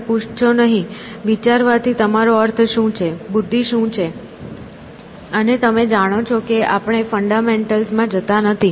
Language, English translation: Gujarati, You do not ask, what you mean by thinking, what is intelligence; and you know that do not go into fundamentals